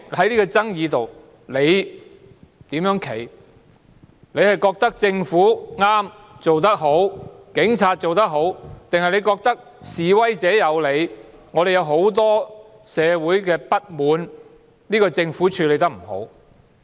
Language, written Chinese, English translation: Cantonese, 你覺得政府和警方正確、做得好，還是你覺得示威者有理，社會有很多不滿源於政府處理得不好？, Do you think that the Government and the Police are correct and doing right or do you think that the protesters have good grounds while many social grievances are attributed to the undesirable handling approach of the Government?